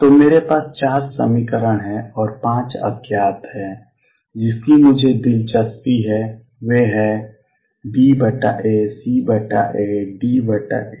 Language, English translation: Hindi, So, I have got 4 equations and 5 unknowns all I am interested in is B over A, C over A, D over A